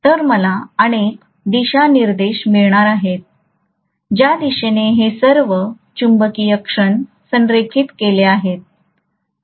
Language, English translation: Marathi, So I am going to have multiple directions towards which all these magnetic moments are aligned, right